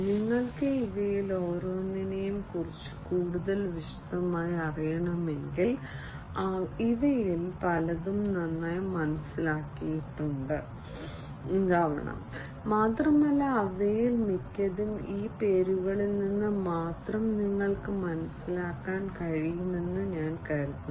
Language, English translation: Malayalam, If you need to know in further more detail about each of these many of these are quite well understood, and you know I think most of them you can understand from these names alone